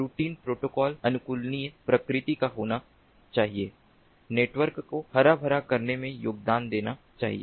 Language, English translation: Hindi, the routing protocols should be adaptive in nature, should contribute towards ah greening of the network and multi tasking